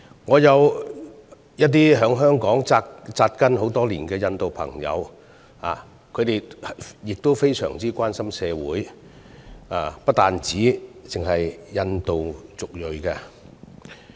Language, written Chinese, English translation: Cantonese, 我有一些在香港扎根多年的印度朋友，他們非常關心社會，不單只是關心印度族裔人士的議題。, I have some Indian friends who have put down roots in Hong Kong for years . They are very concerned about our society caring about issues beyond those relating to the Indian community